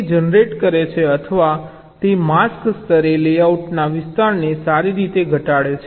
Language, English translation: Gujarati, it generates or it reduces the area of a layout at the mask level